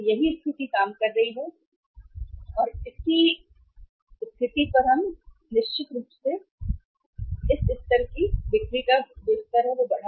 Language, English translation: Hindi, This was the situation worked out that if this happens then certainly we are going to have the increased level of sales at this level